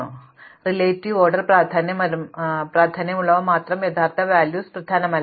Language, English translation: Malayalam, So, the actual values are not important only the relative order matters